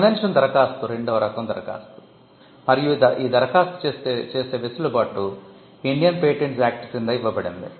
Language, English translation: Telugu, A convention application is the second type of application and the provisions are given under the Indian Patents Act